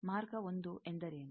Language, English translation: Kannada, What is path 1